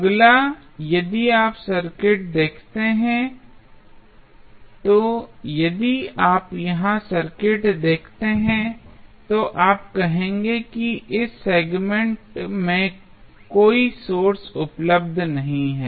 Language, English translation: Hindi, Now, what is next, next if you see the circuit, if you see the circuit here you will say there is no source available in this segment